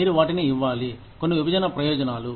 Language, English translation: Telugu, You have to give them, some separation benefits